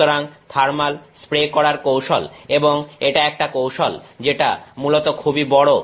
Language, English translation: Bengali, So, thermal spraying technique and it is a technique which basically is very large